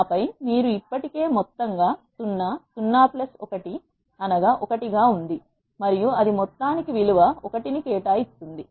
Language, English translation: Telugu, And then you have already sum as 0, 0 plus 1 is 1 and it will assign value 1 to the sum